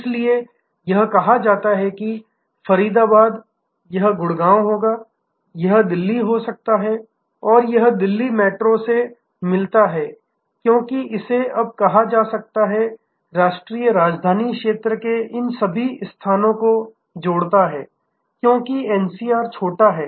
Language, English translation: Hindi, So, this is say Faridabad this would be Gurgaon, this can be Delhi and this met Delhi metro as it is called this now, connecting all these places of the national capital region know as NCR is short